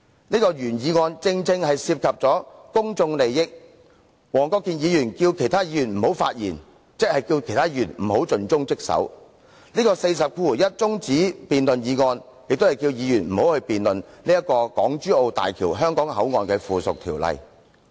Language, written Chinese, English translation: Cantonese, 此項原議案正是涉及公眾利益，黃議員要求其他議員不要發言，即要求大家不要盡忠職守，而他根據《議事規則》第401條提出中止待續的議案，亦是要求議員不要辯論有關港珠澳大橋香港口岸的附屬法例。, In asking other Members not to speak Mr WONG was asking them not to act conscientiously and dutifully . And in moving the adjournment motion under RoP 401 he was asking Members not to debate the subsidiary legislation relating to the HZMB Hong Kong Port